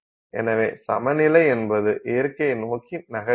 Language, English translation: Tamil, Nature is moving towards equilibrium